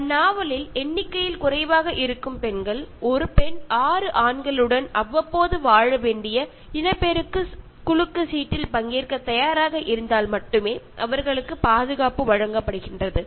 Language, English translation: Tamil, Women, who are less in number in the novel are given security only if they are willing to participate in the procreation lottery in which one woman has to live with six men periodically